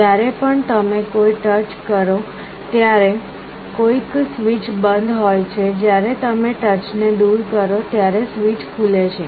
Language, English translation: Gujarati, Whenever you make a touch some switch is closed, when you remove the touch the switch is open